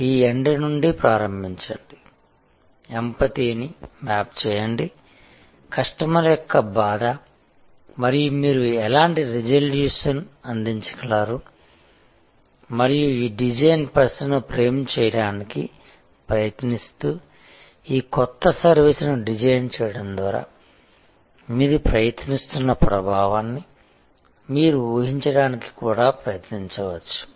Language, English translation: Telugu, So, start from this end map with empathy the customer pain and what resolution you can provide and in trying to frame this design question, designing this new service, you can also try to visualize the impact that you are trying to have